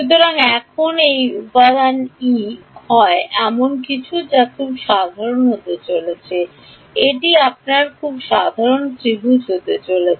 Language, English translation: Bengali, So, now, this element e is that is something that is going to be very general right, this is going to be your very general triangle